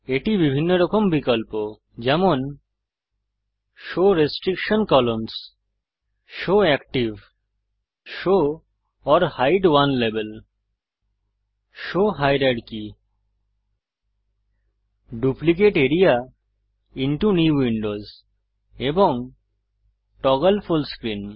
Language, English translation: Bengali, Here are various options like Show restriction columns, show active, show or hide one level, show hierarchy, Duplicate area into New window and Toggle full screen